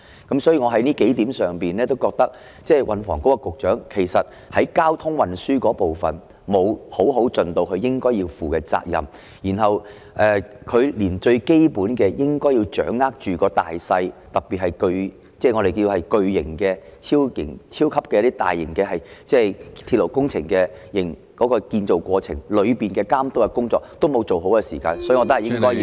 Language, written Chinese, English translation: Cantonese, 因此，從以上數點，我認為運房局局長在交通運輸的部分沒有好好履行他應有的責任，連最基本應該掌握大勢，特別是巨型、超級、大型鐵路建造過程的監督工作，也沒有做好，所以我認為應該削減他的薪酬。, From the aforementioned points I conclude that STH has not properly fulfilled his due responsibilities in respect of transport and neither has he managed to get to grips with the general trend which is most basic . In particular he has performed poorly in monitoring the construction process of mega super and large - scale railways . Therefore I hold that his emoluments should be deducted